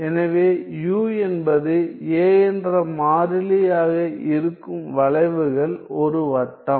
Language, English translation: Tamil, So, the curves for which u is a constant a is a circle